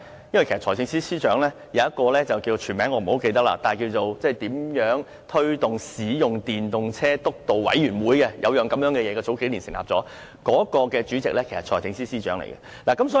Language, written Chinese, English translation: Cantonese, 因為有一個我不太記得全名，是關於推動使用電動車輛督導委員會，政府於數年前成立了這麼一個組織，該委員會的主席便是財政司司長。, Why? . That is because the Government set up a certain steering committee on promoting the use of EVs some years ago . I cannot quite remember its full name and the Financial Secretary is its chairman